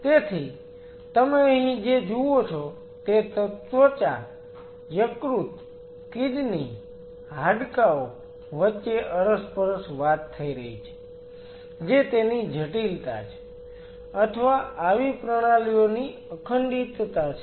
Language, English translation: Gujarati, So, what you see here is there is a cross talk happening between skin, liver, kidney, bone that is the complexity or that is the integrity of such systems are